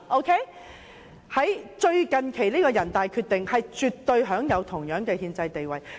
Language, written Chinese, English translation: Cantonese, 最近期人大常委會的決定絕對享有同樣的憲制地位。, The latest decision of NPCSC has absolutely the same constitutional status